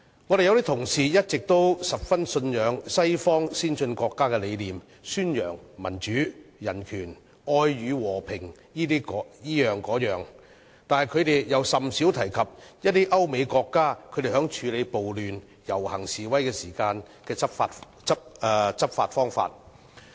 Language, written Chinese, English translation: Cantonese, 我們有些同事一直十分信仰西方先進國家的理念，宣揚民主、人權、愛與和平等，但他們又甚少提及歐美國家在處理暴亂和遊行示威時的執法方法。, Some of our fellow colleagues have been showing great faith in the ideas of advanced Western countries in promoting democracy human rights love and peace . However they seldom mention the way of law enforcement in which European countries and the United States handle riots processions and demonstrations